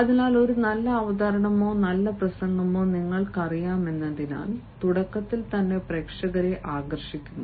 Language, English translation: Malayalam, so, because you know, a good presentation or a good speech also attracts its audience in the beginning and that interest of the audience has to be sustained